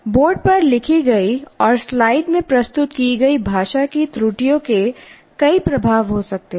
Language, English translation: Hindi, And language errors in what is written on the board and presented in the slides can have multiplying effects